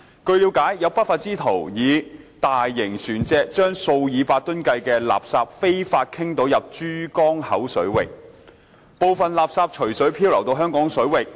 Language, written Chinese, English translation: Cantonese, 據了解，有不法之徒以大型船隻將數以百噸的垃圾非法傾倒入珠江口水域，部分垃圾隨水漂流到香港水域。, It is learnt that some lawbreakers used large ships to dump hundreds of tonnes of refuse illegally into the Pearl River Estuary waters and some refuse drifted to Hong Kong waters